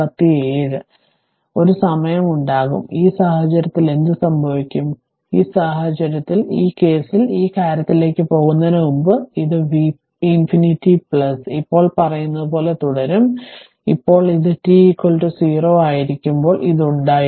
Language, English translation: Malayalam, So, there will be a time, in this case what will happen, in this case what will happen, before going to this thing in this case this will remain as say v infinity plus now this one, this was your there when t is equal to 0